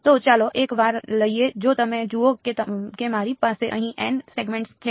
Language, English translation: Gujarati, So, let us take once, if you look at I have n segments over here